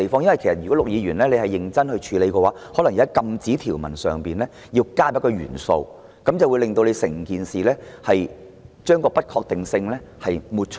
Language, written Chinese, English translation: Cantonese, 如果陸議員要認真處理，可能要在禁止條文增加一個元素，以抹除有關的不確定性。, If Mr LUK seriously wants to deal with the problem he may need to add an element to the prohibition provision to eliminate the uncertainties concerned